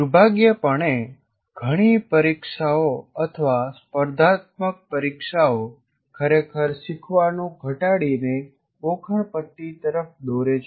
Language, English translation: Gujarati, And unfortunately, many of the examinations or competitive exams reduce learning to rote learning